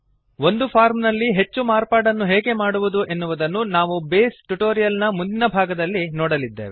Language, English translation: Kannada, We will see how to make more modifications to a form in the next part of the Base tutorial